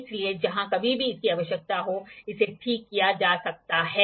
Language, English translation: Hindi, So, it can be fixed where ever it is required